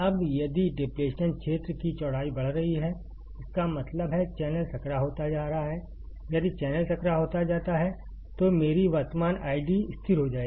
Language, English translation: Hindi, Now, if the width of depletion region is increasing; that means, channel is becoming narrower; if channel becomes narrower, my current I D will be constant